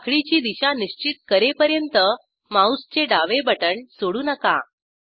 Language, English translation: Marathi, Do not release the left mouse button until the direction of the chain is fixed